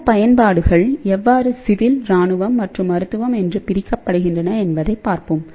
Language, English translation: Tamil, So, let us see; how these applications are divided into civil military as well as medical application